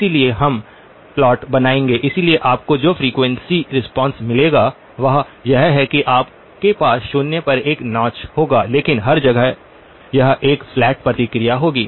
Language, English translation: Hindi, So we will make the plot, so the frequency response that you will get is you will have a notch at zero but pretty much everywhere else it will have a flat response